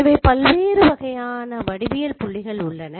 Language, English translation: Tamil, So, or different types of geometric points